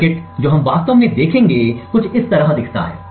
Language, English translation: Hindi, The circuit that we will actually look, looks something like this way